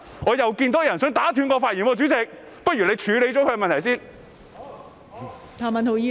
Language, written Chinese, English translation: Cantonese, 我又看到有人想打斷我的發言，代理主席，不如你先處理他的問題。, I see somebody wish to interrupt me again . Deputy President perhaps you should deal with his question first